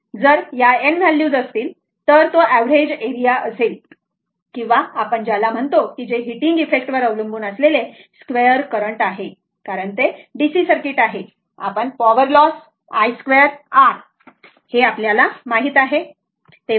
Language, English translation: Marathi, If you have some n such values right, then it will be your average area or what you call depends on the heating effect that is the square of the current because in DC circuit, we have studied the power loss is equal to i square r right